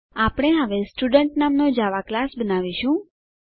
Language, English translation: Gujarati, We will now create a Java class name Student